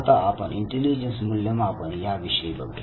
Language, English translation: Marathi, Now, we come to the assessment of intelligence